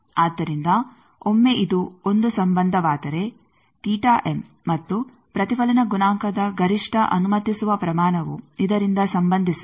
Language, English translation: Kannada, So, once this is a relation that theta m and the maximum allowable magnitude of the reflection coefficient they are related by this